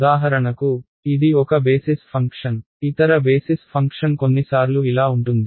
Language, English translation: Telugu, So for example, this is one basis function the other basis function can be sometimes like this and so on